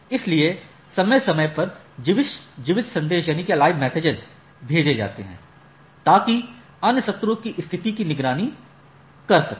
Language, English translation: Hindi, So, periodically send that keep alive messages, so that monitor the state of the other sessions like